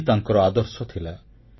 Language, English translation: Odia, These were his ideals